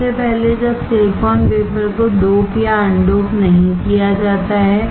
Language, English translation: Hindi, First when the silicon wafer is not doped or un doped